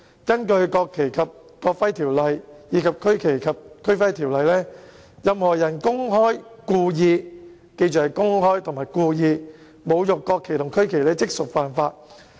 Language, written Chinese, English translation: Cantonese, 根據《國旗及國徽條例》和《區旗及區徽條例》，任何人公開及故意——請記着是公開及故意——侮辱國旗或區旗，即屬犯法。, Under the National Flag and National Emblem Ordinance and the Regional Flag and Regional Emblem Ordinance a person who publicly and willfully―we must remember it sets out publicly and willfully―desecrates the national flag or the regional flag commits an offence